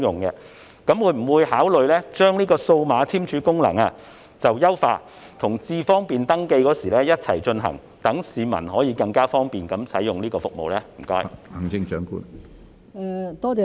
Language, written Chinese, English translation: Cantonese, 請問政府會否考慮優化數碼簽署功能，在登記"智方便"時一併進行，讓市民能更方便地使用這項服務呢？, Will the Government consider enhancing the function of digital signing by including it in the registration for iAM Smart such that members of the public can use this service more conveniently?